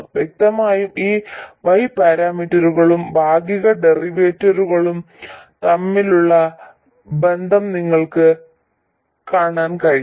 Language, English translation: Malayalam, And clearly you can see the correspondence between these Y parameters and these partial derivatives